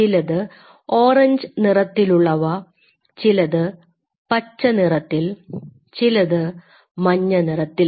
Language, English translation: Malayalam, You may have a orange one you may have a green one, you may have a blue one, you have a red one